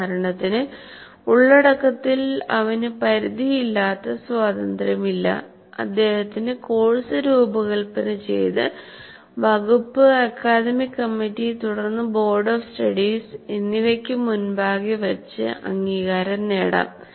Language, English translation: Malayalam, For example, if you take the content, though he doesn't have unlimited freedom, but he can design the course and have it vetted by the department academic committee or whatever that you have, and subsequently it will get vetted by what do you call board of studies